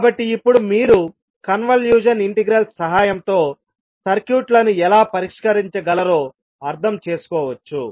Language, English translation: Telugu, So now you can understand how you can solve the circuits with the help of convolution integral